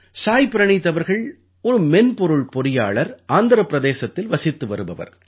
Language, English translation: Tamil, Saayee Praneeth ji is a Software Engineer, hailing from Andhra Paradesh